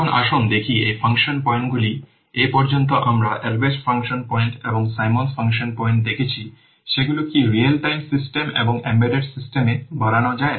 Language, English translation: Bengali, Now let's see about the whether these function points so far we have seen the Albreast function points and the Simmons function points can they be extended to real time systems and embedded systems